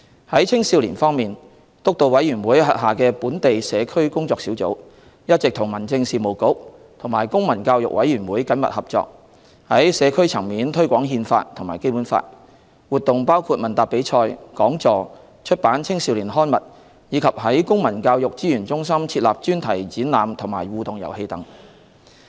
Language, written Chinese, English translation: Cantonese, 在青少年方面，督導委員會轄下的本地社區工作小組，一直與民政事務局及公民教育委員會緊密合作，在社區層面推廣《憲法》和《基本法》，活動包括問答比賽、講座、出版青少年刊物，以及在公民教育資源中心設立專題展覽及互動遊戲等。, As regards young people the Working Group on Local Community under the BLPSC has been working closely with the Home Affairs Bureau and Committee on the Promotion of Civic Education CPCE to promote the Constitution and the Basic Law at the community level including the organization of quiz competitions seminars publications for young people thematic exhibitions and interactive games in the Civic Education Resource Centre etc